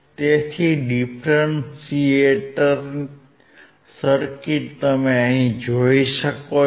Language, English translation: Gujarati, So, you can see the differentiator circuit